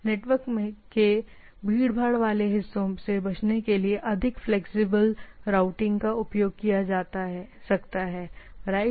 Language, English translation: Hindi, More flexible, routing can be used to avoid congested part of the network, right